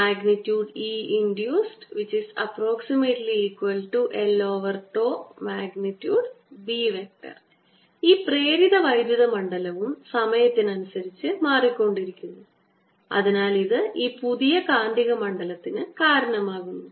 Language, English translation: Malayalam, this induced electric field is also changing in time and therefore this gives rise to this new magnetic field